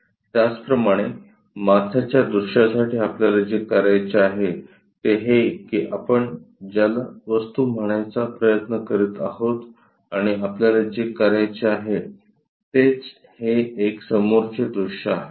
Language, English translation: Marathi, Similarly, for top view object, what we have to do is this is the object what we are trying to say and what we want to make is this one front view